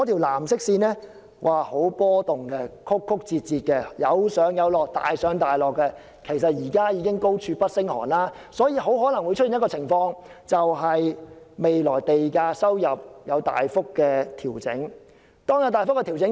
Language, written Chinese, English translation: Cantonese, 藍色線十分波動，非常曲折、大上大落——其實現在已經高處不勝寒——未來很可能出現賣地收入大幅調整的情況。, The blue line―which is in fact at too high a level at this moment―exhibits quite a lot of fluctuations with zigzag curves and marked ups and downs it is very likely that there will be a sharp fall in land sale revenue in the future